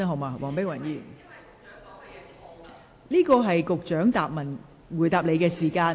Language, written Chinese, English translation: Cantonese, 黃議員，這是局長作答的時間。, Dr Helena WONG it is the time for the Secretary to reply